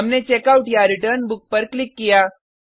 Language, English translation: Hindi, We clicked on Checkout/Return Book